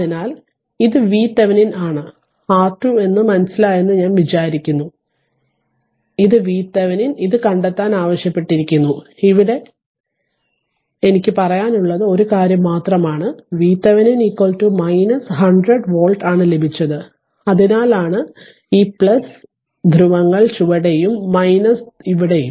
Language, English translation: Malayalam, So, this is hope you have understood this is V Thevenin this is R Thevenin it was ask to find out V Thevenin, we will got only one thing I have to tell you here we got V Thevenin is equal to minus 100 volt right that is why this plus polarities at the bottom and minus is here right